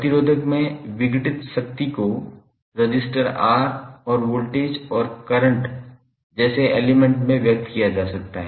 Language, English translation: Hindi, The power dissipated in resistor can be expressed in term of the element like resistance R and the voltage, and current